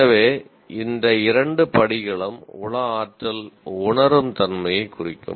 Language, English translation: Tamil, So these two steps will characterize the psychomotor perceive